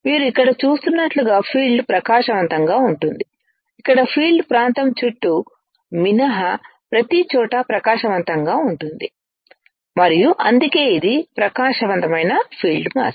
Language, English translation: Telugu, As you see here the field is bright, here the field is bright everywhere the except around the pattern area and which is why it is a bright field mask